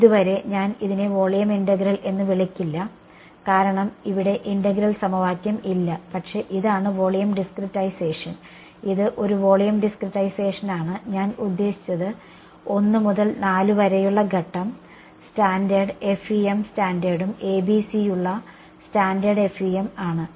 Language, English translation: Malayalam, So far, well I will not call this volume integral because there is no integral equation over here, but this is the volume discretization it is a volume discretization, until I mean step 1 to 4 are standard FEM standard and standard FEM with ABC ok